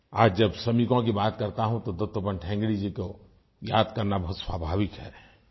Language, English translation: Hindi, Today when I refer to workers, it is but natural to remember Dattopant Thengdi